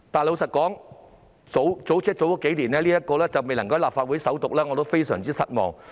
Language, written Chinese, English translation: Cantonese, 老實說，在數年前，相關法案未能在立法會會議上首讀，令我非常失望。, To be honest I was bitterly disappointed when the relevant bill was unable to receive first reading at the meeting of the Legislative Council a few years ago